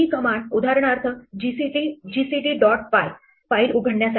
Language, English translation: Marathi, This commands, for instance, to open the file gcd dot py